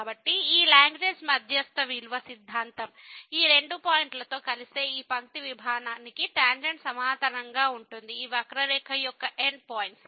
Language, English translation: Telugu, So, this Lagrange mean value theorem says that there will be at least one point where the tangent will be parallel to this line segment joining these two points, the end points of the curve